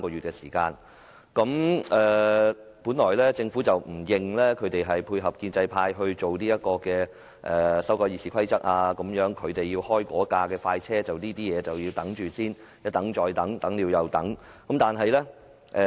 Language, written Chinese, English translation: Cantonese, 政府本來不承認此舉是為了配合建制派修改《議事規則》——為了開該部快車，其他事宜唯有一等再等，等了又等。, Originally the Government did not admit that the purpose of such an act was to collaborate with the pro - establishment camp to amend the Rules of Procedure RoP―To speed up this agenda all other matters could not but wait . They had to be kept waiting